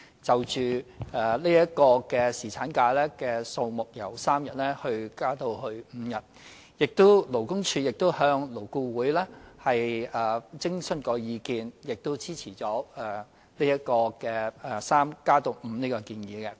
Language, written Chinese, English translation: Cantonese, 就侍產假由3天增加至5天的建議，勞工處亦向勞工顧問委員會徵詢意見，而勞顧會亦支持由3天增加到5天的建議。, On the proposal of extending the paternity leave duration from three days to five days the Labour Department LD has consulted the Labour Advisory Board which also supports the proposal of increasing the number of leave days from three to five